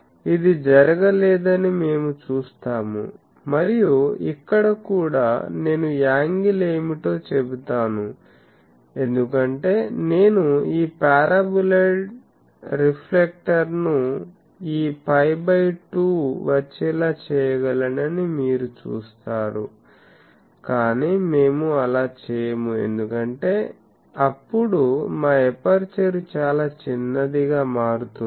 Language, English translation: Telugu, So, that is why we will see that this is not done and also here I will say that what is the angle because, you see that though I can make this paraboloid reflector come to this phi by 2, but we do not do that because then the our aperture becomes very small